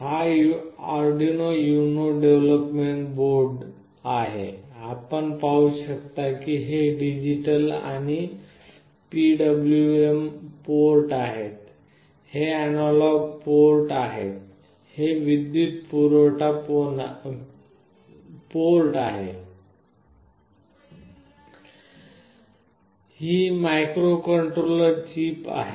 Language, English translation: Marathi, This is the Arduino UNO development board; you can see these are the digital and PWM ports, this is the analog ports, this is for the power, this is the microcontroller chip